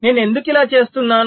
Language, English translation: Telugu, so why i do this